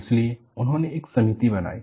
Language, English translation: Hindi, So, they formulated a committee